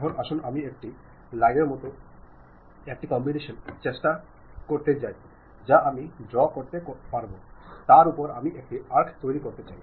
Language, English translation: Bengali, Now, let us try a combination like a line I would like to draw, on that I would like to construct an arc